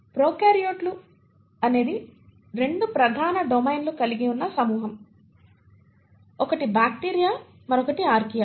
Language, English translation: Telugu, Prokaryotes is a group which consists of 2 major domains, one is bacteria the other one is Archaea